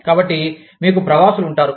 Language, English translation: Telugu, So, you will have, expatriates